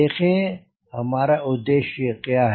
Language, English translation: Hindi, what is our aim